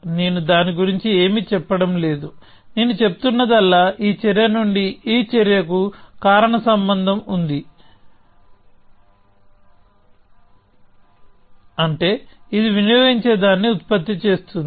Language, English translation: Telugu, So, I am not saying anything about that; all I am saying is that there is a causal link from this action to this action which means it is producing something which this is consuming